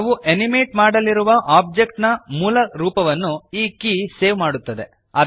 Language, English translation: Kannada, This key saves the original form of the object that we are going to animate